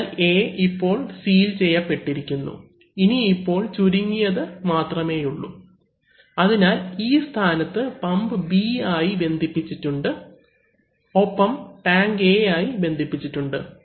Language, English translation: Malayalam, So, therefore A was sealed, now we have this one as a narrow one, so in this position, pump is connected to B and tank is connected to A